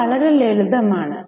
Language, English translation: Malayalam, I think it is very simple